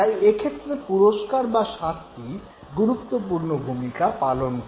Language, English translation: Bengali, So, reward or punishment, that is something which becomes important